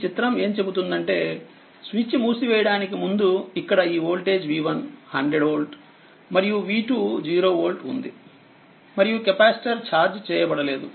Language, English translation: Telugu, So, this is the diagram it says that before closing the switch this voltage v 1 here what you call 100 volt, and v 2 was 0 volt right capacitor this one is uncharged